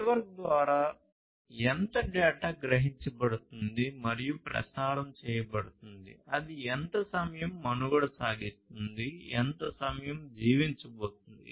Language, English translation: Telugu, How much the data that has been sensed and is being circulated through the network, how much time it is going to survive, how much time it is going to live